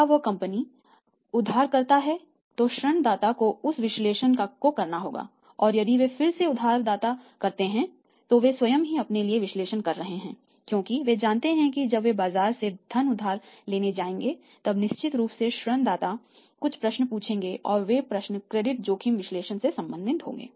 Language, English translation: Hindi, Now so credit risk analysis of every manufacturing companies should be done whether that company is borrower then that the lender has to do that analysis and if they are say again borrower then they themselves be doing the analysis for themselves because they know it that when they will go to borrow the funds from the market then certainly lender would ask some questions and those questions will be pertaining to the credit risk analysis